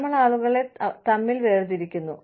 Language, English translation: Malayalam, We differentiate between people